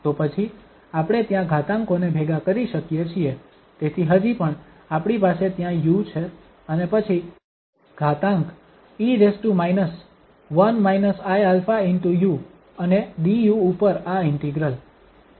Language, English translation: Gujarati, So, then we can combine the exponentials there, so still we have u there and then exponential e power 1 minus i alpha u and this integral over du